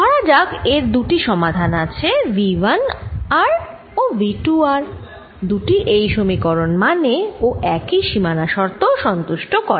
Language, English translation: Bengali, let us assume there are two solutions: v one, r and v two are both satisfying this equation and both satisfying the same boundary conditions